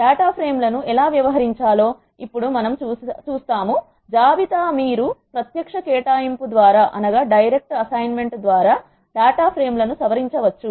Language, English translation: Telugu, Now we will see how to edit data frames; much like list you can edit the data frames by direct assignment